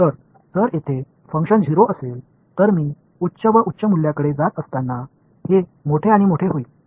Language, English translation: Marathi, So, if the function is 0 all along over here and as I go to higher and higher values this is going to get larger and larger